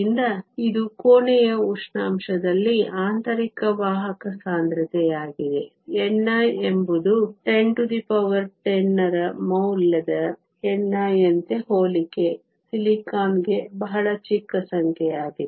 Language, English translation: Kannada, So, this is the intrinsic carrier concentration at room temperature; n i is a pretty small number for comparison silicon as a value of n i of 10 to the 10